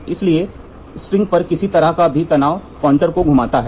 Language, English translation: Hindi, Therefore, any pull on the string will cause the pointer to rotate